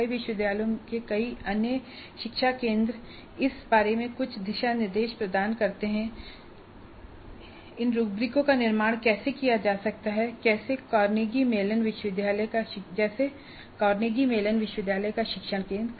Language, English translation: Hindi, Several other education centers of several universities do provide some kind of guidelines on how these rubrics can be constructed like the teaching learning teaching center of Carnegie Mellon University